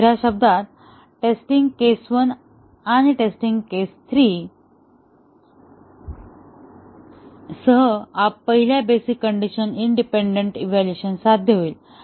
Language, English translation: Marathi, In other words the test case one along with test case three will achieve the independent evaluation of the first basic condition